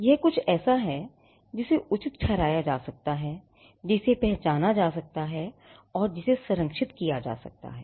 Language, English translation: Hindi, It is something that can be justified, that can be recognized, and that can be protected